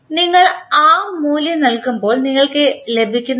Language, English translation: Malayalam, So, when you put that value what we get